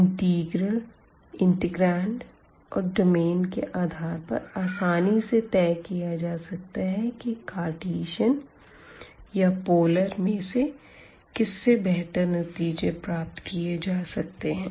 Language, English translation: Hindi, And that based on the integral integrants and also the domain, we can easily decide that which form is better whether the Cartesian or the polar form we have seen through some examples